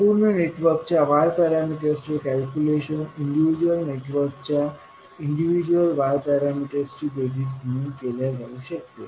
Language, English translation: Marathi, We can find out the Y parameter of the overall network as summation of individual Y parameters